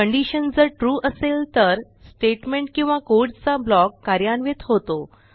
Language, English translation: Marathi, If the condition is True, the statement or block of code is executed.